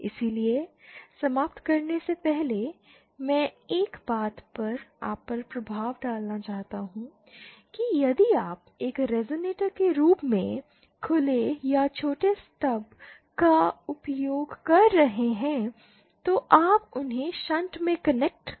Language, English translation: Hindi, So one thing before ending I want to to impress upon you is that if you are using open or shorted Stubs as a resonator, just pure open and shorted stubs as a resonator, then you have to connect them in shunt